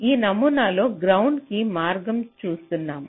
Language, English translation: Telugu, so in this model i am looking the path to ground